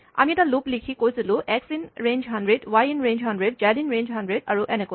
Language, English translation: Assamese, Imagine, we had written a loop in which we had said, for x in range 100, for y in range 100, for z in range 100, and so on